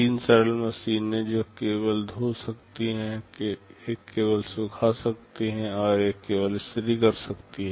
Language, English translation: Hindi, Three simple machines one which can only wash, one can only dry, and one can only iron